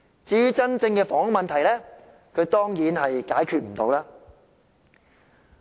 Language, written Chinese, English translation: Cantonese, 至於真正的房屋問題，他當然無法解決。, And for the real housing problem of course he is unable to solve it